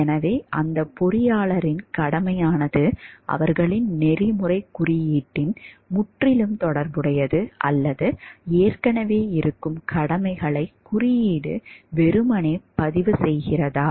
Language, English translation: Tamil, So, that engineer’s obligation are entirely relative to their code of ethics or does the code simply record the obligations that already exist